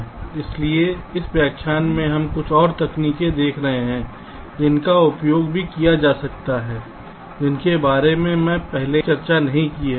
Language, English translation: Hindi, so in this lecture we shall be looking at a few more techniques which also can be used which i have not discussed earlier